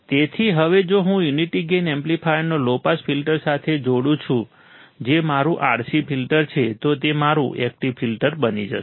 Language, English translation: Gujarati, So, now if I connect a unity gain amplifier with a low pass filter which is my RC filter, it becomes my active filter